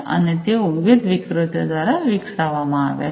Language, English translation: Gujarati, And they have been developed by the different vendors